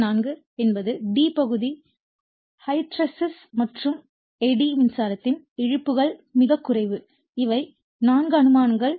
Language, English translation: Tamil, And number 4 that is d part hysteresis and eddy current losses are negligible, these are the 4 assumptions you have made right